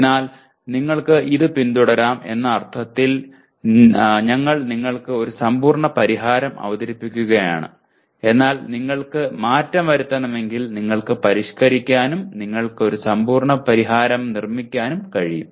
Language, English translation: Malayalam, So we are presenting you a complete solution in the sense you can follow this but if you want to change you can modify and build a complete solution for yourself